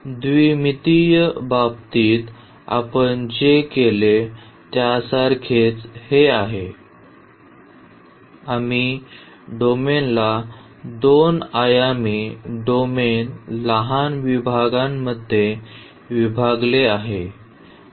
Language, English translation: Marathi, So, it is very similar to what we have done in case of 2 dimensional; we have divided the domain the 2 dimensional domain into a small sections, small cells